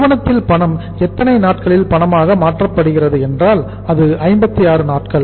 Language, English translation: Tamil, Company’s cash is converted into cash in how many days that is 56 days